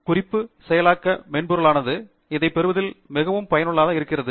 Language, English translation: Tamil, The reference management software is very useful in getting this done